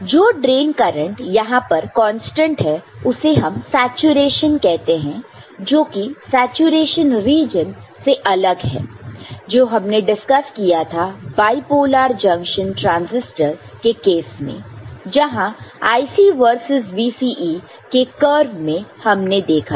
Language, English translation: Hindi, This drain current remaining constant here is termed as saturation which is different from the saturation region we had discussed in case of bipolar junction transistor where an equivalent IC versus VCE curve, we had seen